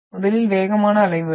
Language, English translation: Tamil, So these are the fastest waves